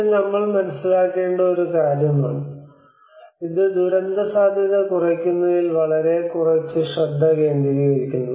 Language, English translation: Malayalam, This is one thing which we have to understand, and this is a very little focus in on disaster risk reduction